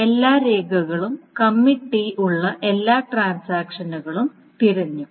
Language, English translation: Malayalam, So if all the records, all the transactions with Commit T is being searched